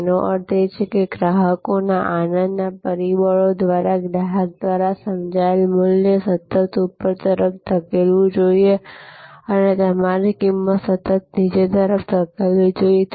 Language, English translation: Gujarati, That means, the delight factors of the customers, the value perceived by the customer, should be constantly pushed upwards and your cost should be constantly pushed downwards